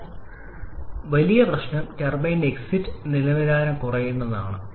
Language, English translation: Malayalam, But the bigger problem is the reduction in the turbine exit quality